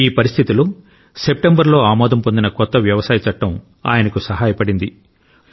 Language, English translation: Telugu, In this situation, the new farm laws that were passed in September came to his aid